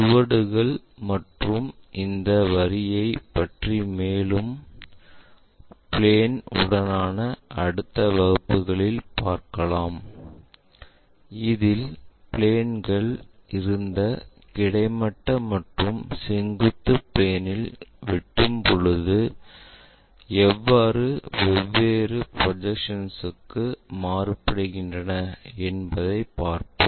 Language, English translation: Tamil, More about traces and these lines, we will learn in the later classes along with our planes if they are going to intersectintersecting with these horizontal planes, vertical planes, how these planes we have to really transfer it for different projections